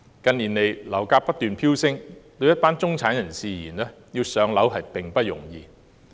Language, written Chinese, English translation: Cantonese, 近年樓價不斷飆升，對一些中產人士而言，要"上樓"並不容易。, With the skyrocketing property prices in recent years it is by no means easy for some middle - class people to acquire their own homes